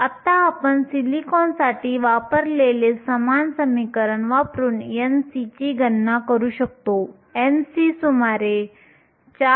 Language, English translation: Marathi, Now, you can calculate n c using the same equation that we used for silicon, n c is around 4